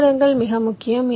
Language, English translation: Tamil, the delays are important